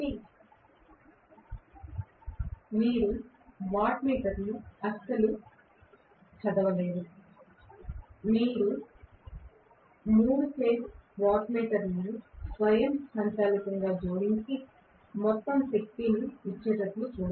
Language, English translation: Telugu, So, you will not be able to read the wattmeter at all, 3 phase wattmeter will automatically add and give you the overall power